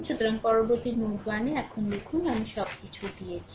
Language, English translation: Bengali, So, next if you write now at node 1 I at node 1 I given you everything right